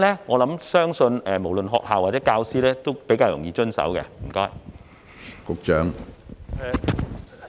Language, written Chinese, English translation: Cantonese, 我相信無論學校或教師都比較容易遵守。, I believe this would facilitate compliance of both the schools and teachers